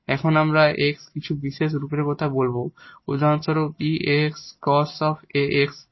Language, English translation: Bengali, Now, we will be talking about some special forms of this X for instance e power a x cos a x sin a x etcetera